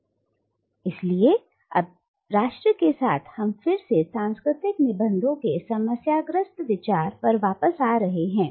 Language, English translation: Hindi, Now, but therefore with nation we are back again to the problematic idea of static cultural essences